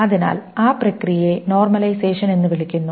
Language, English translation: Malayalam, So that process is called normalization